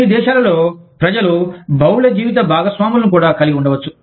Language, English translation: Telugu, In some countries, people may have, multiple spouses, also